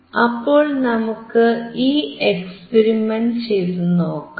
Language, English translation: Malayalam, So, let us see this experiment